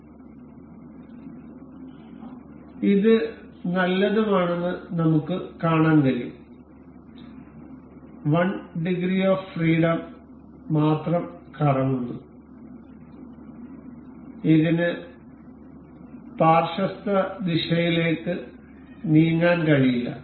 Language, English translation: Malayalam, So, now we can see this is nice and good, rotating only in one degree of freedom, and it cannot move in lateral direction